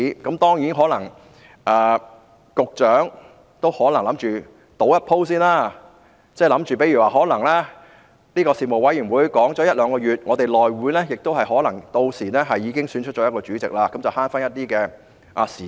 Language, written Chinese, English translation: Cantonese, 當然，局長可能打算冒一次險，希望大家在事務委員會就《條例草案》辯論一兩個月後，屆時內會可能已選出主席，這便能節省一些時間。, It is natural that the Secretary may intend to take a chance in the hope that a Chairman can be elected after the Bill has been under the debate of the Panel for one to two months so that some time can be saved